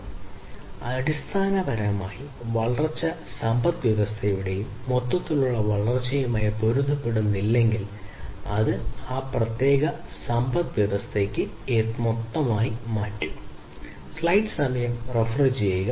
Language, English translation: Malayalam, So, basically, if the growth is not conformant with the overall growth of the economy then that will become a disaster for that particular economy